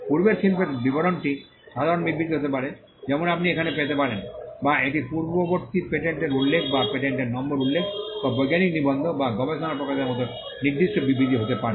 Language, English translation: Bengali, The description of prior art could be general statements as you can find here, or it could be specific statements like referring to an earlier patent or referring to a patent number or to a scientific article or a research publication